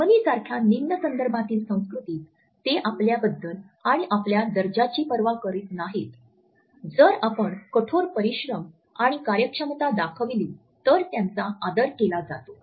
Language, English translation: Marathi, In a low context culture like Germany they do not care about you and your status, if you work hard and efficiently they respect